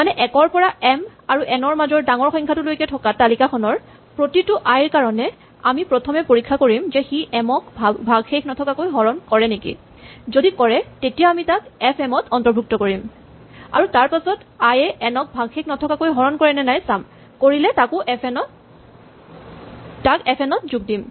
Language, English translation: Assamese, In another words for each i in this list 1 to the maximum of m and n we first check if i divides m, if so we add it to the list of factors of m, and then we check if i divides n and if so we add it to list fn